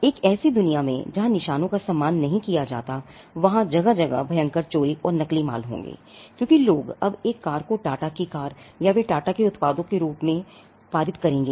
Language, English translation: Hindi, In a world where marks are not respected, they will be rampant piracy and counterfeit happening all over the place, because people would now pass of a car as Tata’s cars or they will pass of products as Tata’s products